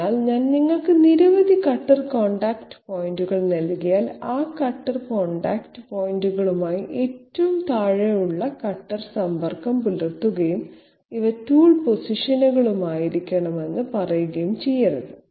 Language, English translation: Malayalam, So if I give you a number of cutter contact points, you cannot straightaway put the say the lower most of the cutter in contact with all those cutter contact points and say that these must be the tool positions, no